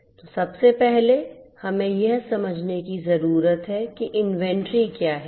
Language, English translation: Hindi, So, first of all we need to understand what is inventory